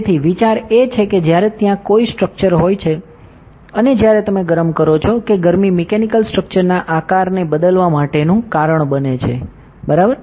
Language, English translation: Gujarati, So, the idea is that when there is a structure and when you heated that heating causes the structures mechanical shape to change, ok